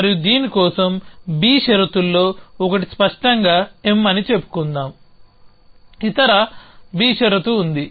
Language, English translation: Telugu, And let us say one of the B condition for this is clear M of course there other B condition